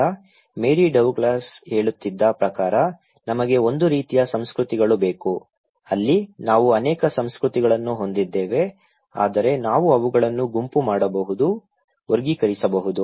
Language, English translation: Kannada, Now, Mary Douglas was saying that we need to have a kind of categories of cultures, there we have many cultures but we can group them, categorize them